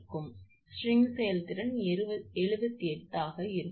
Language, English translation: Tamil, So, string efficiency will be 78 percent